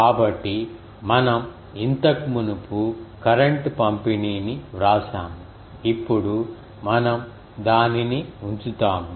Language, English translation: Telugu, So, that we have already earlier written current distribution now we will put that